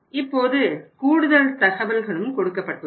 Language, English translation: Tamil, This information is also given to us